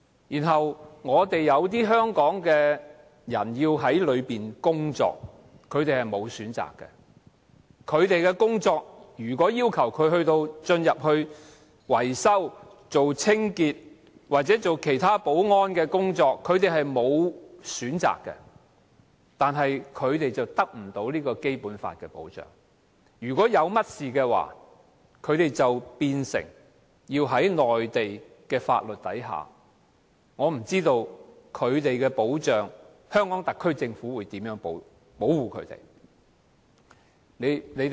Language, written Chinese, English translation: Cantonese, 如果他們的工作要求他們進入內地口岸區從事維修、清潔或保安工作，他們是沒有選擇的，但卻得不到《基本法》的保障，一旦有事發生，他們便要受內地法律的限制，我不知道香港特區政府會如何保護他們。, If their jobs require them to enter MPA for maintenance cleaning or security duties they have no choice but to stay unprotected under the Basic Law and be subject to Mainland laws in case of an incident . I do not know how the Hong Kong Government will protect them